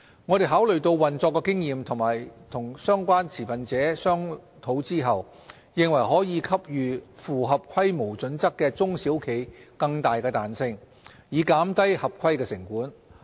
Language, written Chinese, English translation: Cantonese, 我們考慮到運作經驗及與相關持份者商討後，認為可給予符合規模準則的中小企更大彈性，以減低合規成本。, In the light of operational experience and after discussing with relevant stakeholders we consider that there is room to provide more flexibility to SMEs to reduce their compliance costs so long as the size criteria are met